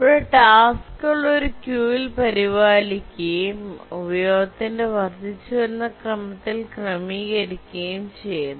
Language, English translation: Malayalam, Here the tasks are maintained in a queue and these are arranged in the increasing order of their utilization